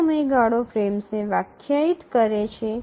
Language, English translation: Gujarati, And these define the frames